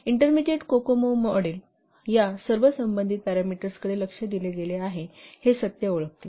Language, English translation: Marathi, The intermediate cocoa model recognizes the fact that all these relevant parameters they have been addressed